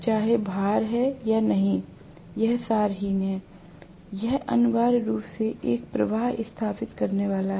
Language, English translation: Hindi, Whether there is load or not, that is immaterial, it is going to essentially establish a flux